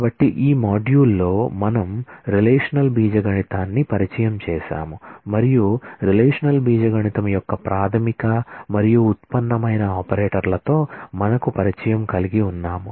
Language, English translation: Telugu, So, in this module, we have introduced the relational algebra and we have familiarized ourselves with the fundamental and derived operators of relational algebra